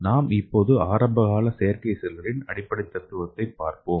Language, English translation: Tamil, So let us see the basic principles of early artificial cells